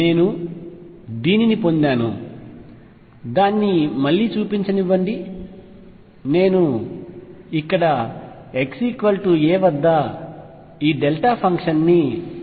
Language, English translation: Telugu, I get, let me show it again I am integrating across this delta function here at x equals a